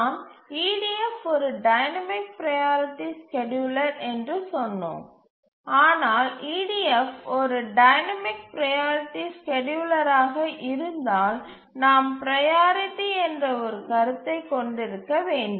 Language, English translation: Tamil, But then if EDF is a dynamic priority scheduler then we should have a concept of a priority and we should be able to determine what is the priority of a task